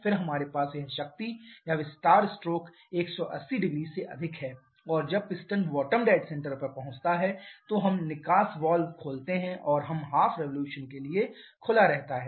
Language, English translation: Hindi, Then we have this power or expansion stroke over 180 degree and when the piston reaches the bottom dead center then we open the exhaust valve and it kept open over half revolution